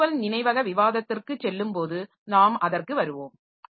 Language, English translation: Tamil, We will come to that when we go into this virtual memory discussion